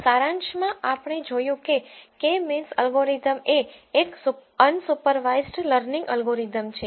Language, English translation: Gujarati, In summary, we have seen that k means algorithm is an unsupervised learning algorithm